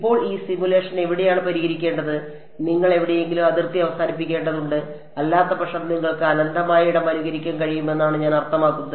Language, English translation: Malayalam, Now where do you to solve this simulation you need to terminate the boundary somewhere otherwise you I mean you can simulate infinite space